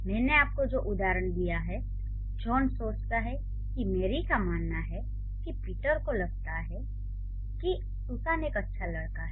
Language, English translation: Hindi, The example that I give you, John thinks that, Mary believes that, Peter feels that Susan is a good student